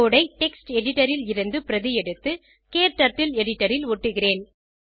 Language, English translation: Tamil, I will copy the code from text editor and paste it into KTurtle editor